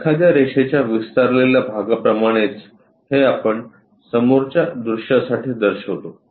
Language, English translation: Marathi, More like an extension kind of line we will show this is for front view